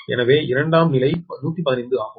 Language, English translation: Tamil, so secondary side is hundred fifteen